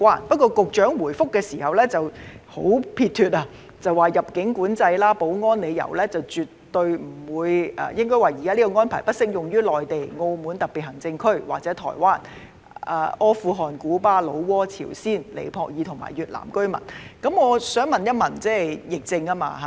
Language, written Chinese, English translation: Cantonese, 不過，局長的主體答覆十分撇脫，表示基於入境管制及保安理由，現時輸入家庭傭工的入境安排並不適用於內地、澳門特別行政區或台灣的中國居民，以及阿富汗、古巴、老撾、朝鮮、尼泊爾及越南的國民。, However the main reply of the Secretary is very simple and direct saying that owing to immigration control and security reasons the current entry arrangement for admission of domestic helpers does not apply to Chinese residents of the Mainland the Macao Special Administrative Region and Taiwan as well as nationals of Afghanistan Cuba Laos the Democratic Peoples Republic of Korea Nepal and Vietnam